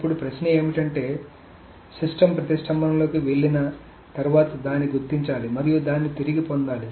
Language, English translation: Telugu, Now the question is once a system goes into dead lock, it must be detected and it must be recovered